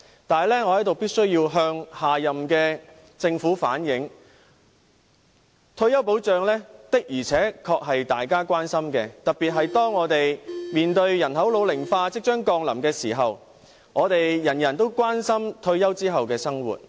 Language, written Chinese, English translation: Cantonese, 不過，我在此必須向下屆政府反映，退休保障的確是大家所關注的，特別是當我們面對人口老齡化即將降臨時，我們所有人均關注退休後的生活。, But here I must reflect to the next Government that retirement protection is honestly a concern to everybody . This is especially so when everybody is concerned about their retirement lives amidst imminent population ageing